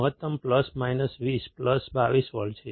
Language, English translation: Gujarati, Maximum is plus minus 20, plus minus 22 volts